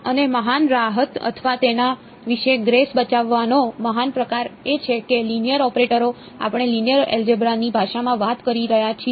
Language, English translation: Gujarati, And the great relief or the great sort of saving grace about it is that linear operators, we can talk about in the language of linear algebra